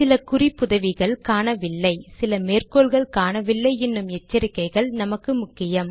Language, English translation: Tamil, The warning that some references are missing, some citations are missing, are however important to us